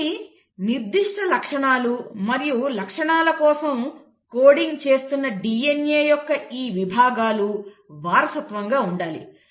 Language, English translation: Telugu, So these sections of DNA which are coding for specific traits and the traits have to be heritable